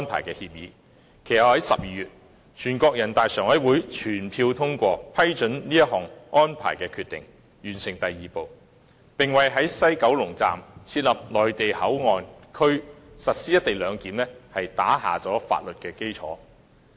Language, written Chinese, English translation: Cantonese, 其後在12月，人大常委會作出決定，批准《合作安排》，完成"三步走"第二步，並為在西九龍站設立內地口岸區實施"一地兩檢"定下了法律基礎。, In December last year NPCSC made a decision to approve the Co - operation Arrangement completing the second step of the Three - step Process and laid the legal basis for establishing the Mainland Port Area at WKS to implement the co - location arrangement